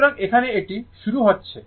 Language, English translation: Bengali, So, here it is starting